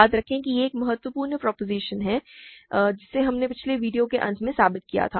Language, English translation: Hindi, Remember this is a crucial proposition that we proved at the end of last video